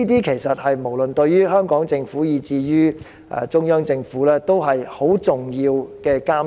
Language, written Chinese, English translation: Cantonese, 其實，無論是對香港政府，以至中央政府而言，這些也是十分重要的監察。, In fact to the Hong Kong Government as well as the Central Authorities monitoring efforts in these aspects are very important